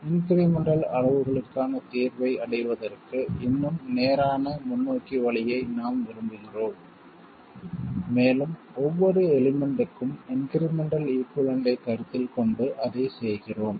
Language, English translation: Tamil, We want an even more straightforward way of arriving at the solution for the incremental quantities and that we do by considering the incremental equivalent for every element